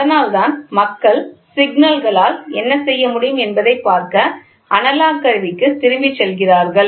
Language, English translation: Tamil, So, that is why people are moving back to analog to see what they can do with the signals